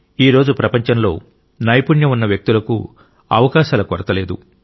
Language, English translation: Telugu, There is no dearth of opportunities for skilled people in the world today